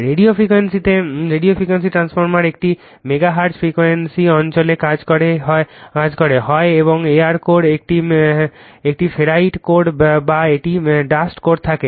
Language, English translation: Bengali, Radio frequency transformer it is operating in the megaHertz frequency region have either and air core a ferrite core or a dust core